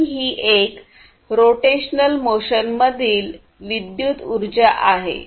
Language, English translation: Marathi, And this one is electrical energy into rotational motion